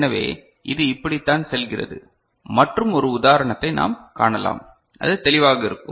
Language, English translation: Tamil, So, this is how it goes on and we can see one example then it will be clearer